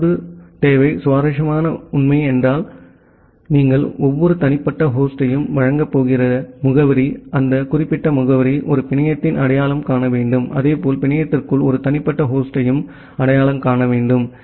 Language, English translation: Tamil, The second requirement the interesting fact is that the address that you are going to provide every individual host, that particular address should identify a network, as well as a unique host inside the network